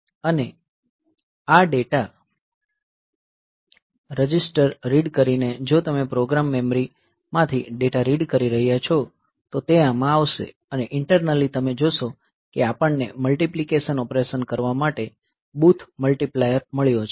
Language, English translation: Gujarati, And, this read data register; so, this is if you are reading from data from the program memory so, it will be coming into this and internally you see that we have got a booths multiplier for doing the multiplication operation